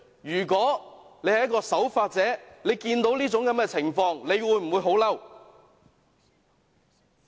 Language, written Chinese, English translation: Cantonese, 如果大家是守法者，看到這種情況，會否很憤怒？, Will law - abiding citizens not burn with rage when they see these cases?